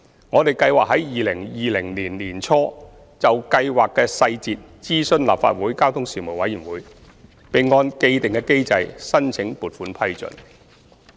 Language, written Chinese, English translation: Cantonese, 我們計劃在2020年年初就計劃的細節諮詢立法會交通事務委員會，並按既定機制申請撥款批准。, We plan to consult the Legislative Council Panel on Transport on the implementation details in early 2020 and will seek the funding approval in accordance with the established mechanism